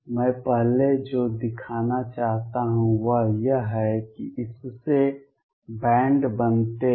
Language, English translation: Hindi, I would earlier, what I want to show is that this leads to bands